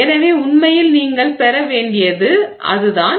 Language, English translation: Tamil, So, that is really what you have to get